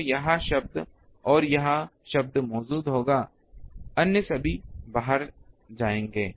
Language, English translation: Hindi, So, this term and this term will be present all others will go out